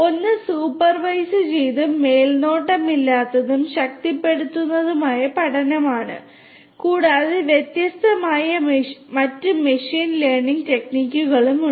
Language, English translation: Malayalam, One is the supervised, unsupervised and reinforcement learning and there are different different other machine learning techniques that are also there